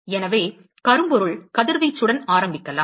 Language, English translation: Tamil, So, let us start with blackbody radiation